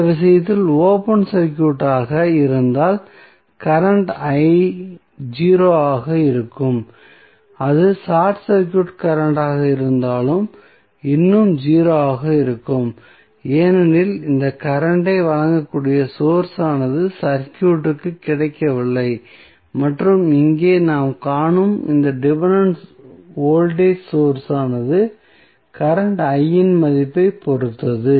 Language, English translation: Tamil, So, if it is open circuited like in this case, the current I would be 0, even if it is short circuited current would still be 0 because the source which can supply this current is not available in the circuit and this dependent voltage source which we see here depends upon the value of current I